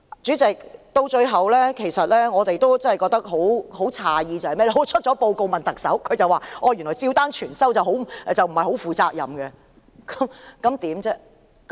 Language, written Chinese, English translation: Cantonese, 主席，最後，我們感到很詫異的是，有人在報告發表後詢問特首，而她表示照單全收並非負責任的行為。, President lastly we are very surprised to know that when someone asked the Chief Executive after the report was published she replied that it was not a responsible act to accept all of the recommendations indiscriminately